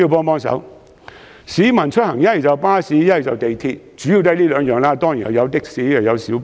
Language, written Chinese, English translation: Cantonese, 目前，市民出行主要乘坐巴士或利用鐵路，當然還有的士和小巴。, Currently commuters mainly travel by bus or train . Of course taxi and minibus are other options